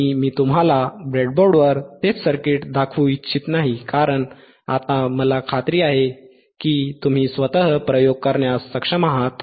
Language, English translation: Marathi, And we I do not want to show you the same circuit on the breadboard or because now I am sure that you are able to perform the experiments by yourself